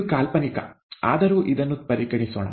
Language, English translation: Kannada, Fictitious, but let us consider this